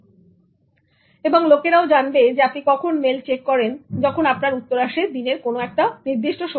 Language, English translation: Bengali, People will know when you are checking mails and when your reply will come in a day